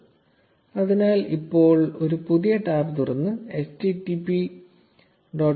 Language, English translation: Malayalam, So now, open a new tab and type in http graphs